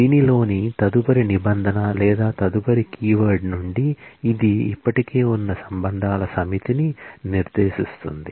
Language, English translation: Telugu, The next clause or the next keyword in this is from, which specifies a set of existing relations